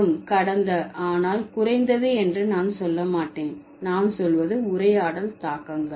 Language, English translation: Tamil, And the last but not the least, I would say, is the conversational implicages